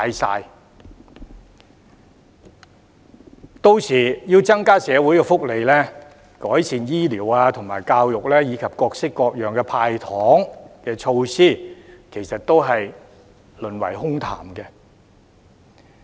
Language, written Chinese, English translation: Cantonese, 屆時要增加社會福利、改善醫療及教育，以及各式各樣的"派糖"措施，其實都會淪為空談。, When the time comes any promise to enhance social welfare health care and education as well as various giveaway measures will end up being nothing but empty talk